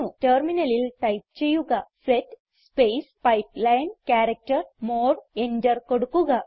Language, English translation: Malayalam, Type at the terminal set space pipeline character more and press enter